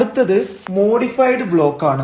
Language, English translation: Malayalam, next is a modified block